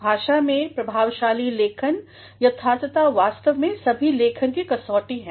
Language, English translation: Hindi, In language, an effective writing correctness is actually the hallmark of all writings